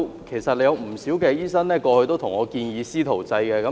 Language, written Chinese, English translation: Cantonese, 其實，過去有不少醫生向我建議"師徒制"。, In fact quite a number of medical practitioners suggested the mentorship approach to me in the past